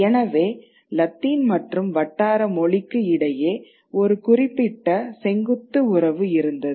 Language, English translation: Tamil, The relationship between Latin and the vernacular is a vertical one